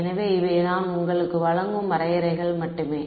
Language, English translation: Tamil, So, these are just definitions I am giving you